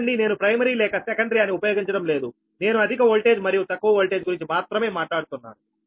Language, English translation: Telugu, look, i am not using any primary or secondary, i am only talking about the high voltage and low voltage right